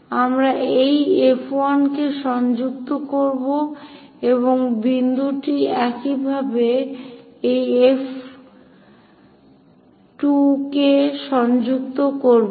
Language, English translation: Bengali, What we do is connect this F 1 and this point similarly construct connect this F 2